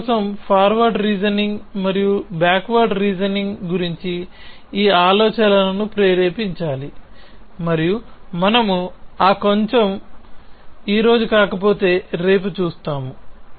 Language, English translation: Telugu, So, this off course should trigger this thoughts about forward reasoning versus backward reasoning for you and we will look at that little bit, if not today then we will tomorrow